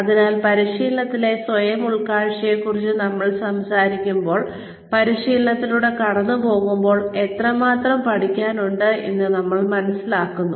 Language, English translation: Malayalam, So, when we talk about self insight in training; when we go through training, we realize, how much there is to learn